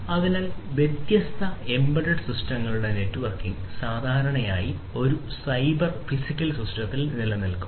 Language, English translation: Malayalam, So, the networking of different embedded systems will typically exist in a cyber physical system